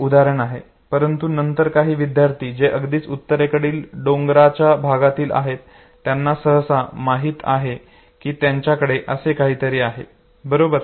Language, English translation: Marathi, This very example but then some of the students who are from the extreme northern side the mountain area they usually know they have something like this, okay